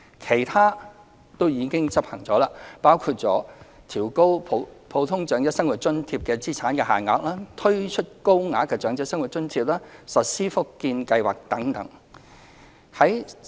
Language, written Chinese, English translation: Cantonese, 其他措施均已執行，當中包括調高普通長者生活津貼的資產限額、推出高額長者生活津貼、實施福建計劃等。, Other measures announced have already been implemented and they include raising the asset limits for the Normal Old Age Living Allowance introducing the Higher Old Age Living Allowance and implementing the Fujian Scheme and so on